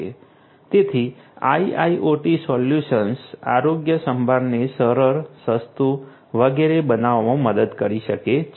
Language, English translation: Gujarati, So, IIoT solutions can help in making healthcare easier, affordable and so on